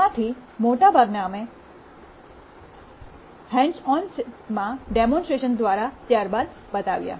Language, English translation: Gujarati, Most of them we actually showed through hands on demonstration sessions subsequently